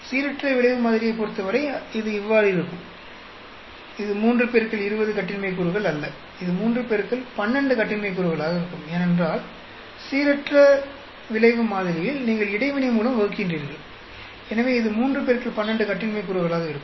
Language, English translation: Tamil, For random effect model, i will beů it is not 3 into 20 degrees of freedom, it will be 3 into 12 degrees of freedom, because in random effect model you are dividing by the interaction; so it will be 3 into 12 degrees of freedom